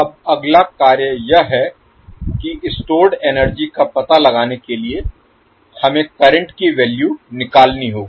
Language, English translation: Hindi, Now the next task is that to find the energy stored, we have to calculate the value of current